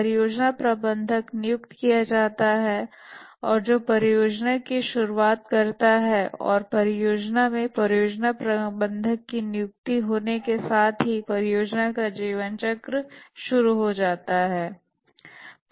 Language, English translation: Hindi, The project manager is appointed and that forms the initiation of the project and after the project manager is appointed for the project the life lifecycle starts with planning the project